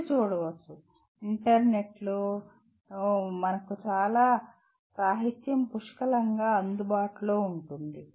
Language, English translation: Telugu, You can look at, there is plenty of literature available on the net, on the internet